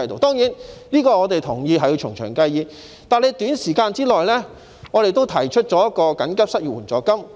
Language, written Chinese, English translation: Cantonese, 當然，我們同意這要從長計議，但就短期而言，我們也提出了設立緊急失業援助金。, Of course we agree that this warrants further deliberations but for short - term measures we have also proposed the establishment of an emergency unemployment assistance fund